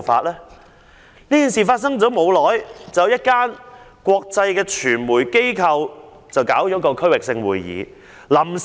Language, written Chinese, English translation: Cantonese, 在馬凱事件發生後不久，一家國際傳媒機構舉行區域性會議。, An international media organization had planned to hold a regional conference shortly after the occurrence of the MALLET incident